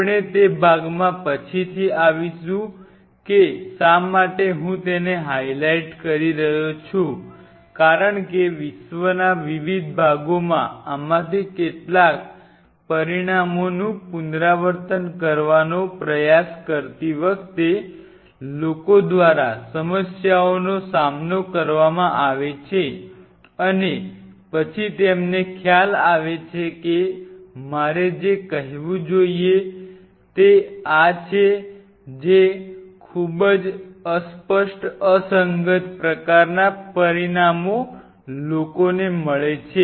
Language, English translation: Gujarati, We will come later into that part why I am highlighting that because there are issues which are being faced by people while trying to repeat some of these results in different parts of the world and then they realize that it is kind of what I should say it is kind of very incisive incoherent results which people meet